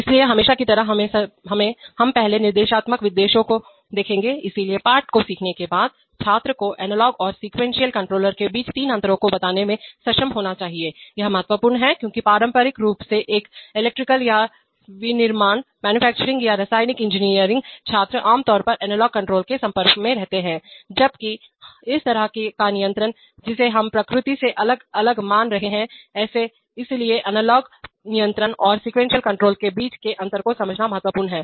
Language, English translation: Hindi, So as usual we will first look at the instructional objectives, so after learning the lesson the student should be able to state three differences between analog and sequence control, this is important because traditionally an electrical or manufacturing or chemical engineering student is typically exposed to analog control, while the kind of control that we are considering here at different in nature, so it is important to understand the differences between analog control and sequence control